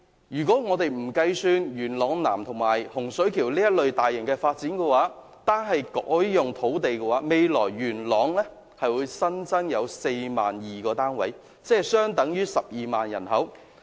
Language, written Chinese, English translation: Cantonese, 如果我們不把元朗南及洪水橋等大型發展計算在內，單是改劃土地，未來元朗將會增加 42,000 個房屋單位，相等於12萬人口。, If we do not count the large - scale developments in Yuen Long South and Hung Shui Kiu the rezoning of land alone can produce an additional 42 000 housing units for Yuen Long in the future which will bring in about 120 000 people